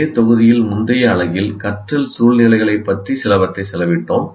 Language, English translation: Tamil, In our earlier unit in the same module, we spent something about learning situations